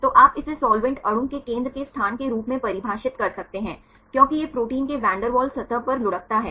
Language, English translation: Hindi, So, you can define this as the locus of the centre of the solvent molecule, as it rolls over the van der Waals surface of the protein